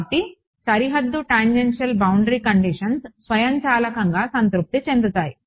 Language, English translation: Telugu, So, boundary tangential boundary conditions automatically satisfied ok